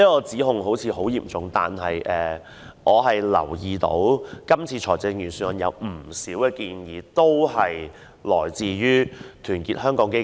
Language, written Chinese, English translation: Cantonese, 這項質疑似乎頗嚴重，可是，我留意到這次預算案有不少建議均來自團結香港基金。, This seems to be quite a serious query but I do have noted that many of the proposals put forward in the Budget actually originated from Our Hong Kong Foundation